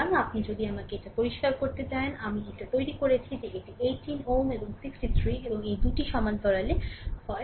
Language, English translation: Bengali, So, if you let me clear it that is what we have made it that 18 ohm and 63 and this parallel if this two are in parallel